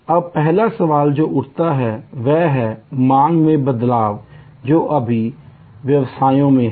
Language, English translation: Hindi, Now, the first question that we arise will be that demand variation is there in all businesses